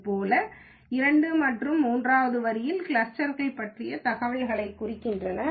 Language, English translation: Tamil, Similarly, the lines 2 and 3 represents the information about the cluster